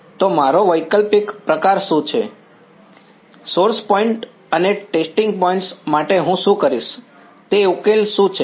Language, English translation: Gujarati, So, what is my sort of alternate, what is the solution that I will do for source points and testing points